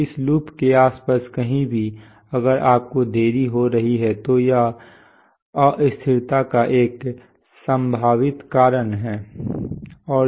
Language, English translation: Hindi, So anywhere around this loop if you have delay it is a potential cause of instability